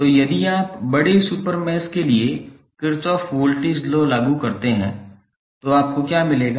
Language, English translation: Hindi, So, if you apply Kirchhoff Voltage Law for the larger super mesh what you will get